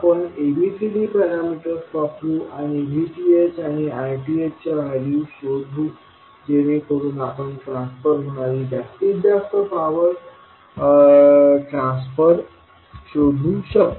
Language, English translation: Marathi, So we will use ABCD parameters and find out the value of VTH and RTH so that we can find out the value of maximum power to be transferred